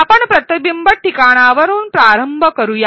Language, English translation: Marathi, Let us begin with a reflection spot